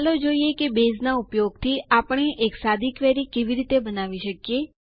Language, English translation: Gujarati, Let us see how we can create a simple query using Base